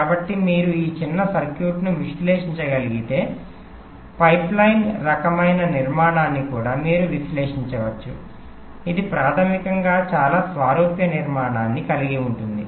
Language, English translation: Telugu, so if you can analyse that small circuit, you can also analyse, flip analyse a pipeline kind of architecture which basically has a very similar structure